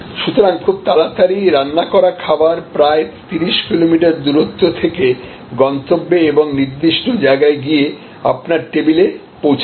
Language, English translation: Bengali, So, freshly cooked food delivered in a very short span of time from a distance may be 30 kilometers away to a destination and precisely location, it comes to your table